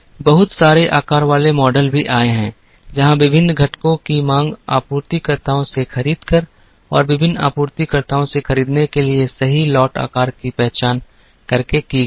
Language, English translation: Hindi, There are also lot sizing models that came, where the demand for the various components were met by buying from suppliers and by identifying the correct lot size to buy from various suppliers